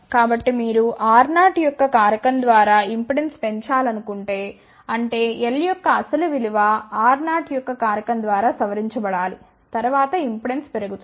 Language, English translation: Telugu, So, if you want to increase the impedance by a factor of R 0 so; that means, the original value of l should be modified by a factor of R 0